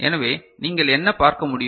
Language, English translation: Tamil, So, what you can see